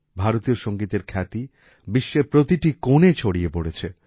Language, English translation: Bengali, The fame of Indian music has spread to every corner of the world